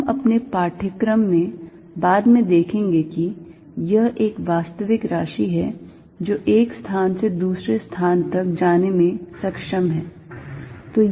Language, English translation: Hindi, We will see later in the course that it is a real quantity that is capable of propagating from one place to the other